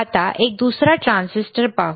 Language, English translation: Marathi, Now, let us see the another one which is the transistor